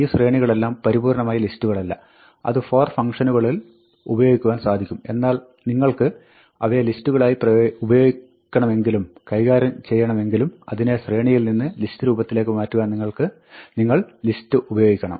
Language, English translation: Malayalam, These sequences are not absolutely lists; they can be used in for functions but if you want to use them as lists, and manipulate them as lists, you must use list to convert them from their sequence to the list form